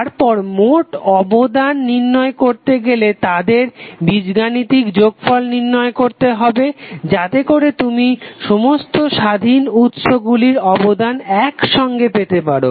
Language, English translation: Bengali, Then find the total contribution by adding them algebraically so that you get the contribution of all the independent sources